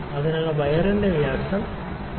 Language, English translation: Malayalam, So, this reading this diameter of the wire is 3